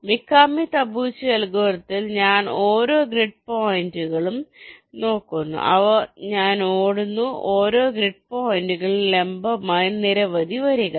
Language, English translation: Malayalam, in the mikami tabuchi algorithm, along the lines, i am looking at every grid points and i am running so many perpendicular lines along each of the grid points